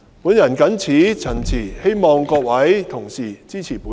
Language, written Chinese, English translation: Cantonese, 我謹此陳辭，希望各位議員支持我提出的議案。, With these remarks I urge Members to support my motion